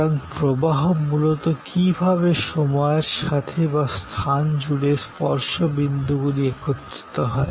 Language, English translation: Bengali, So, flow is basically how the touch points come together over a period of time or across space